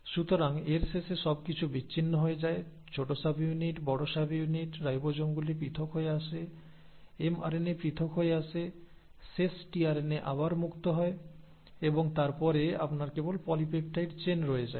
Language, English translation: Bengali, So at the end of it everything gets dissociated, the small subunit, the large subunit, the ribosomes come apart, the mRNA comes apart, the tRNA becomes free again, the last tRNA and then you are left with just the polypeptide chain